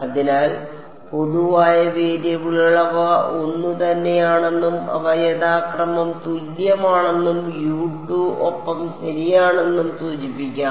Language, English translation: Malayalam, So, the common variables let us just indicate them they are the same and they are equal to U 2 and U 3 respectively ok